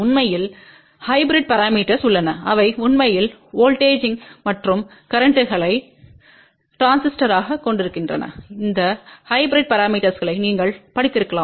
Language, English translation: Tamil, In fact, there are hybrid parameters are also there which actually consist of voltages and currents and you might have studied those hybrid parameters for transistors